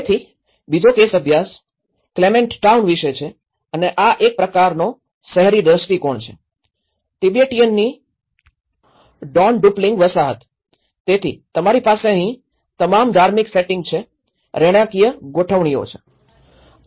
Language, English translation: Gujarati, So, the second case study is about the Clement town and this is a kind of an urban scenario, is a Dondupling of Tibetan settlements, so you have all the religious setting here and there are residential setting over here